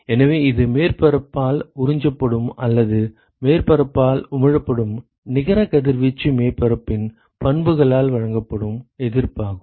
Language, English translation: Tamil, So, this is the resistance that is offered by the properties of the surface for net radiation that is either absorbed by the surface or emitted by the surface